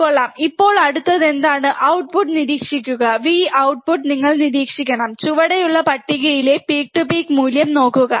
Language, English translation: Malayalam, Nice, now what is the next one, observe the output, V out you have to observe output, and note down the peak to peak value in the table below